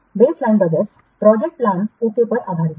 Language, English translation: Hindi, The baseline budget is based on the project plan